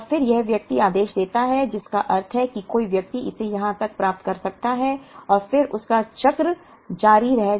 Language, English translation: Hindi, And then, this person orders which means a person may get it somewhere here up to this and then his cycle may continue